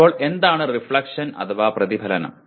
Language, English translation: Malayalam, Now what is reflection